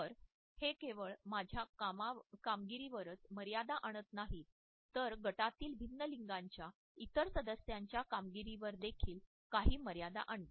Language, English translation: Marathi, So, it constricts not only my performance, but it also puts certain under constraints on the performance of other team members also who may belong to different genders